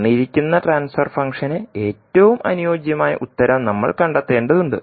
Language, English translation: Malayalam, So we need to find out the most suitable answer for given transfer function